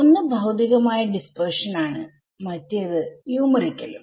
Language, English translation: Malayalam, So, one is physical dispersion which is ok, the other is numerical